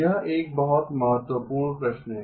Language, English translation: Hindi, That is the very important question